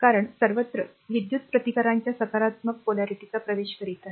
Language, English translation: Marathi, Because everywhere current is entering into the your positive polarity of the resistance